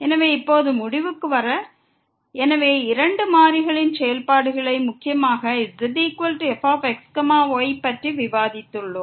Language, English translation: Tamil, So, now to conclude, so we have discussed the functions of two variables mainly Z is equal to